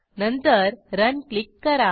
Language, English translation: Marathi, Then click on Next